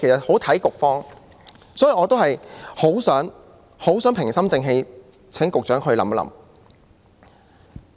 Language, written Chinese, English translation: Cantonese, 所以，我很想平心靜氣地請局長考慮。, For this reason I wish to ask the Secretary very calmly to consider this matter